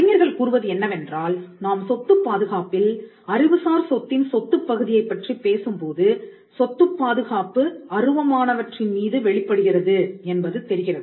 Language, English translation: Tamil, Now, scholars are in agreement that the property protection, when we talk about the property part of intellectual property, the property protection manifests on intangibles